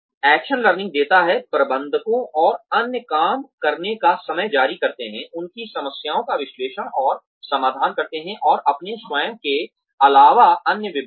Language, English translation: Hindi, Action learning gives, managers and others, released time to work, analyzing and solving their problems, and departments other than their own